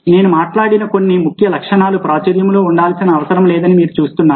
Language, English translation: Telugu, you see that some of the key features i have talked about not necessarily rules